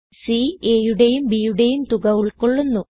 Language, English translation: Malayalam, c holds the sum of a and b